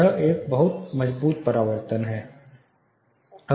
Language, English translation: Hindi, This is a very strong reflection